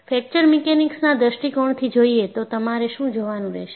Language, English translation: Gujarati, So, from Fracture Mechanics point of view, what you will have to look at